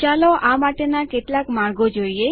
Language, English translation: Gujarati, Lets look at some of the ways